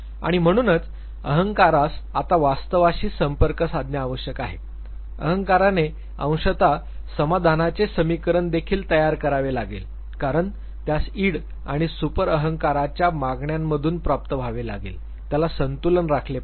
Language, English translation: Marathi, And therefore, ego has to now remain in touch with the reality, ego also has to partially make up satisfaction equation it has to derive out of the demands of the id and the super ego, it has to strike a balance